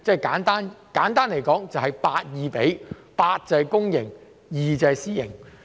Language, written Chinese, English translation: Cantonese, 簡單來說，就是 8：2，8 是公營 ，2 是私營。, To put it simply the public to private ratio is 8col2